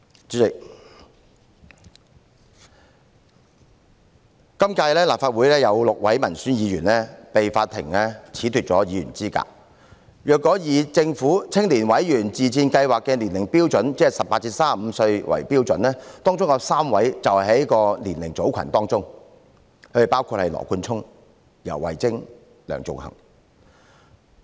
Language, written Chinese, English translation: Cantonese, 主席，今屆立法會有6位民選議員被法庭褫奪議員資格，如果以政府青年委員自薦試行計劃的年齡標準，即以18至35歲為標準，當中有3位是在該年齡組群當中，包括羅冠聰、游蕙禎和梁頌恆。, President in this term of the Legislative Council six Legislative Council Members were disqualified by the Court and if the age standard under the Governments Member Self - recommendation Scheme for Youth is adopted that is if 18 to 35 years of age is adopted as the standard three of them belong to this age group including Nathan LAW YAU Wai - ching and Sixtus LEUNG